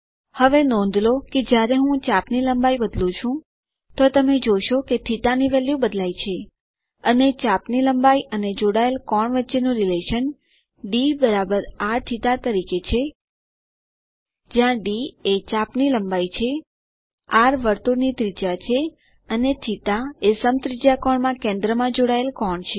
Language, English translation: Gujarati, Now notice that when i change the arc length you will notice that the value of θ changes, and the relation between arc length and the angle subtended goes as d=r.θ where d is the arc length, r is the radius of the circle and θ is the angle subtended at the center in radians